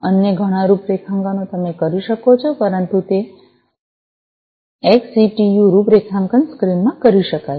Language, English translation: Gujarati, Many other configure configurations you can do, but those can be done in the XCTU configuration screen